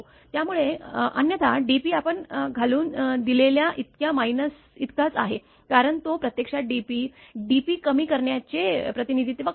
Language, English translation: Marathi, So, otherwise dp is equal to this much minus we have put because it represents actually dp, dp reduction of the power